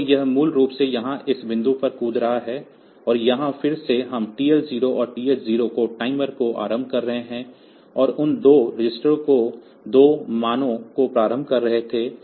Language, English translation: Hindi, So, it is basically this jumping to this point here, and here again we are initializing the timer to TL 0 and TH 0 those 2 registers were initializing 2 values